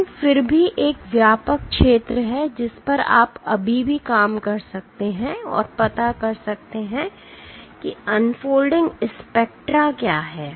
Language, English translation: Hindi, But still there is a broad area over which you can still operate and find out what are the unfolding spectra